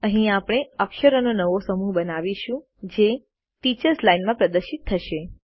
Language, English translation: Gujarati, Here we create new set of characters that can be displayed in the Teachers Line